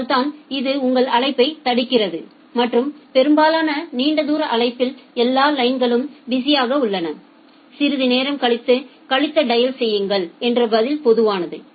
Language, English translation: Tamil, So, that is why it is blocking your call and for long distance call it is pretty common that it will say that, all lines are busy please dial after some time